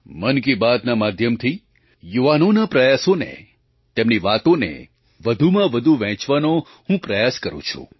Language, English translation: Gujarati, I try to share the efforts and achievements of the youth as much as possible through "Mann Ki Baat"